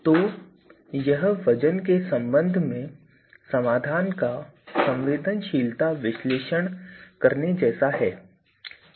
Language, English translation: Hindi, So, this more like a doing a sensitivity analysis of the solution with respect to weights